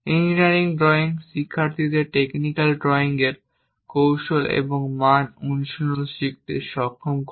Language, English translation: Bengali, Engineering drawings enables the students to learn the techniques and standard practice of technical drawing